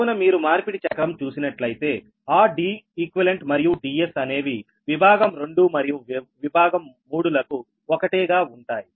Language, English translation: Telugu, so if you see that transposition cycle, that d, e, q and d s will remain same for section two and section three